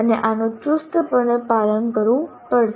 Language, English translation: Gujarati, And this will have to be strictly adhered to